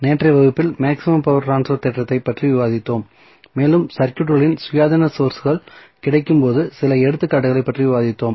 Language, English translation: Tamil, So, in yesterday's class we discussed about the maximum power transfer theorem and we discuss few of the examples when independent sources were available in the circuit